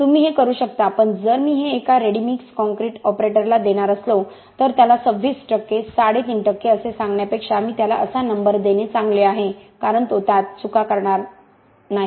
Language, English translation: Marathi, 4 you can but if I am going to give this to a ready mix concrete operator I am better off giving him number like this rather than telling him 26 and a half percent, 32 and a half percent because he is going to make mistakes